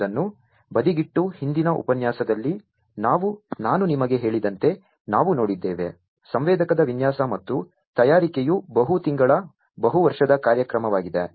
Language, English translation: Kannada, Keeping that aside, we have also seen that as I told you in the previous lecture that; the designing and fabrication of a sensor is a multi month multiyear program